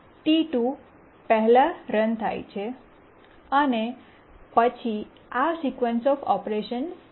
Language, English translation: Gujarati, Now T2 runs first and then these are the sequence of operations they undertake